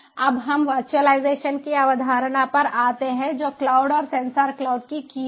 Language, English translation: Hindi, now let us come to the concept of virtualization, which is key to cloud and sensor cloud